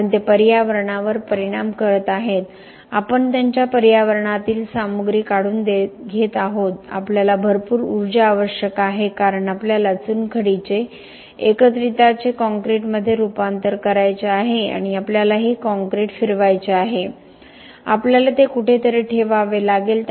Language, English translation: Marathi, Because they are affecting the environment, we are taking away material from their environment, we require lot of energy because we have to transform the limestone, the aggregates into concrete and we have to move this concrete around we have to put it somewhere